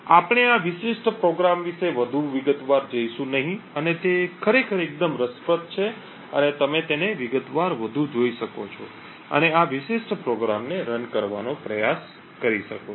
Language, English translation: Gujarati, We will not go more into detail about this particular program and it is actually quite interesting and you could look at it more in detail and try to run this particular program